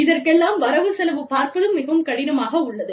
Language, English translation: Tamil, And, it becomes very difficult, to budget for, all this